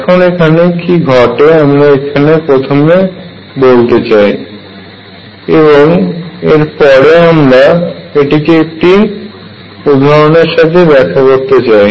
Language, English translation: Bengali, So, what happens, I will just tell you first and then show this through examples